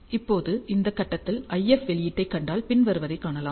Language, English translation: Tamil, Now, if you see the IF output at this point, you observe the following